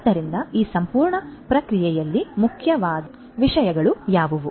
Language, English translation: Kannada, So, in this entire process what are the things that are important